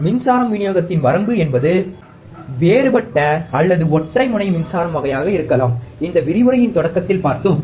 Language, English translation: Tamil, Power supply range may be the differential or single ended power supply kind, we have seen in the starting of this lecture